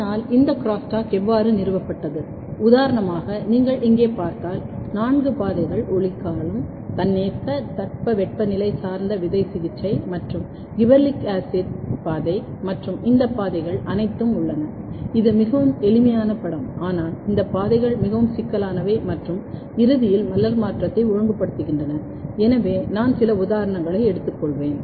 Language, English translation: Tamil, But how this crosstalk was established for example, if you look here there are four pathways photoperiod, autonomous, vernalization and gibberellic acid pathway and all these pathways, this is a very simple picture, but there this pathways are quite complex and all they are eventually regulating the transition floral transition; so, I will take few of the example and if you look